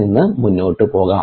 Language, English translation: Malayalam, let us move forward now